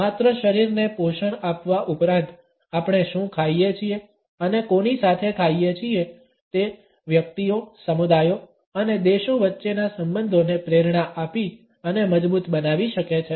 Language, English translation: Gujarati, Beyond merely nourishing the body, what we eat and with whom we eat can inspire and strengthen the bonds between individuals, communities and even countries”